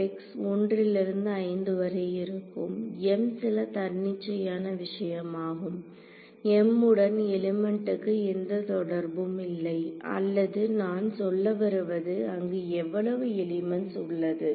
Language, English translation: Tamil, W m x will be from 1 to 5 where m is some arbitrary thing m need not have a correlation with the elements or whatever I mean because there are how many elements there are 4 elements